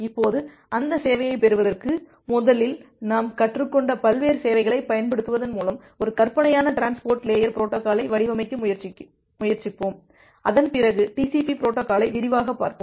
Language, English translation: Tamil, Now to get those service let us first try to design a hypothetical transport layer protocol, by utilizing the various services that we have learnt till now and after that we look in to the TCP protocol in details